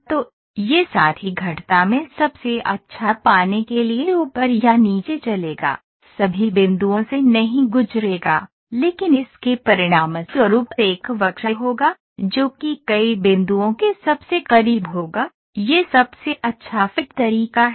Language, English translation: Hindi, So, this fellow will get moved up or down to get the best in the curves, will not pass through all the points but will result in a curve, that will be closest to as many point, that is best fit method